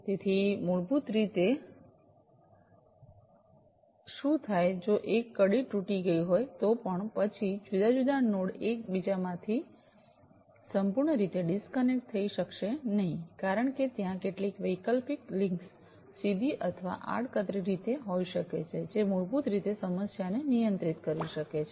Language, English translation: Gujarati, So, basically what happens is if one link has broken, still, then the different nodes may not be completely you know disconnected from one another, because there might be some alternate links directly or indirectly, which will basically handle the problem